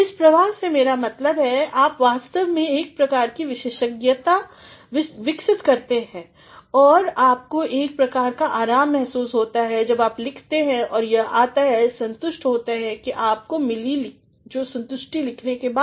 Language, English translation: Hindi, By this flow I mean, you actually develop a sort of expertise, you feel a sort of ease when you write and this is generated from the satisfaction which you have got after your writing